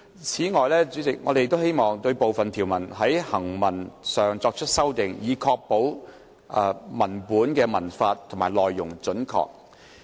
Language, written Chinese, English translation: Cantonese, 此外，我們亦希望對部分條文在行文上作出修訂，以確保文本文法和內容準確。, In addition we also hope to amend the wording of certain provisions so as to ensure grammatical correctness and content accuracy of the text